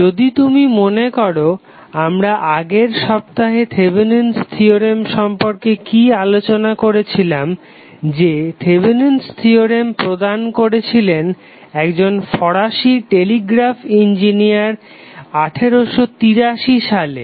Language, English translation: Bengali, Norton's Theorem if you remember what we discussed in the last week about the Thevenin's theorem that Thevenin theorem was given by French telegraph Engineer in 1883 then around 43 years after in 1926 the another American Engineer called E